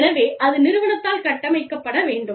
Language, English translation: Tamil, So, that has to be built in the system